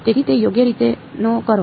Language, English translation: Gujarati, So, do not do it like that right